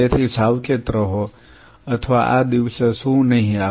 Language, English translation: Gujarati, So, be careful or what will not come on this day